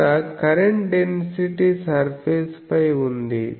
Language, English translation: Telugu, Here the current density is on the surface